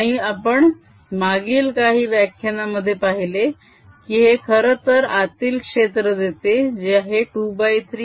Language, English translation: Marathi, and we have seen in the past few lectures ago that this actually gives rise to a field inside which is two thirds mu zero m